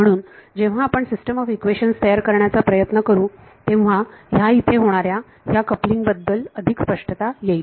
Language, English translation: Marathi, So, when we try to form the system of equations this will become even more clear this coupling that is happening